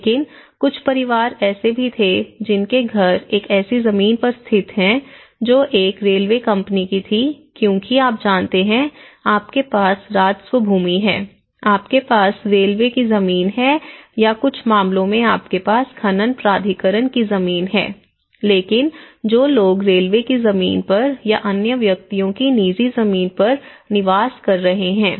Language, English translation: Hindi, But, there were also some families whose houses are located on a land that belonged to a railway company because you know, you have the revenue land, you have the railway land or in some cases you have the mining authorities land, so but in this case the people who are residing on the railway land so or to other private individuals